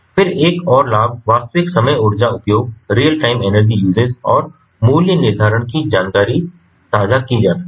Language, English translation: Hindi, then another advantage is rea time: energy usage and pricing information can be shared because you know